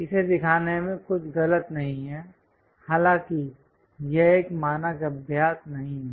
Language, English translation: Hindi, There is nothing wrong in showing this; however, this is not a standard practice